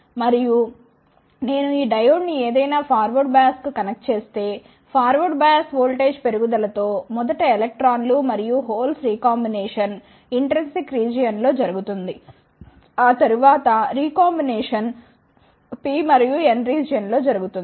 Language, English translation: Telugu, And, if I connect this diode any forward bias then with increase in forward bias voltage, first the recombination of electrons and holes will take place in the intrinsic region, after that the recombination will take place in the P and N region